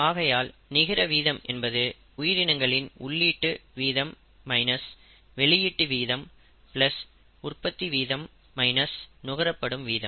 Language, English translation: Tamil, Therefore the net rate is rate of input minus rate of output plus the rate of generation minus the rate of consumption of that particular species